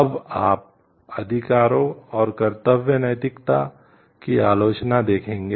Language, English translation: Hindi, Now, you will see the criticism of the rights and duty ethics